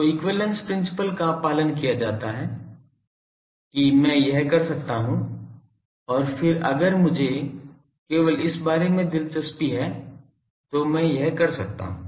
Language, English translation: Hindi, Now, this is the equivalence principles followed; that I can do this and then if I am interested only about this I can go on doing this